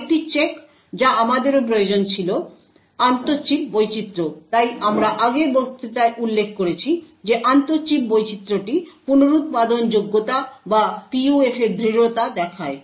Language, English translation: Bengali, Another check which we also require was the intra chip variation, so as we mentioned in the previous lecture the intra chip variation shows the reproducibility or the robustness of a PUF